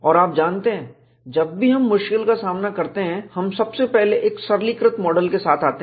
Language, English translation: Hindi, And you know, whenever we face difficulty, we will first come out with a simplistic model